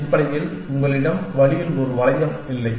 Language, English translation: Tamil, You do not have a loop on the way essentially